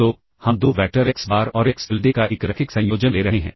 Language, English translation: Hindi, So, we are taking a linear combination of the 2 vectors xBar and xTilda